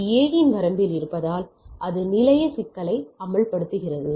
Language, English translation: Tamil, So, because it is in the A’s range and it is exposed station problem right